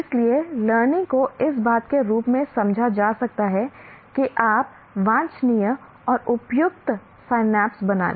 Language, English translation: Hindi, So learning can be interpreted in terms of what do you call desirable and appropriate synapses forming